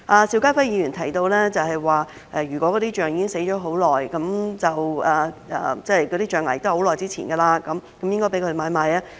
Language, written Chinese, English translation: Cantonese, 邵家輝議員提及，如果大象已經死去一段時間，那些象牙亦已年代久遠，應該容許買賣。, Mr SHIU Ka - fai mentioned that a piece of ivory should be allowed for trade if it comes from a long - dead elephant and has become dated